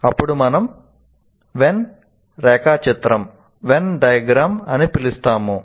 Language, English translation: Telugu, This is what we call Venn diagram